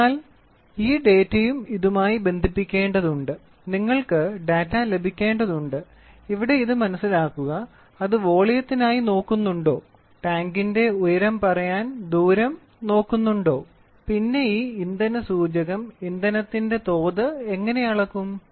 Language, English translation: Malayalam, So, this data has also to be linked with this and you will have go get the data and here please understand it does it look for volume, does it look for distance that we used to say height of the tank what how does this fuel indicator measure the level of a fuel